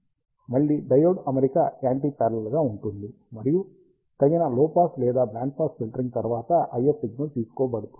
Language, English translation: Telugu, Again, the diode arrangement is anti parallel, and the IF signal is taken after appropriate low pass or band pass filtering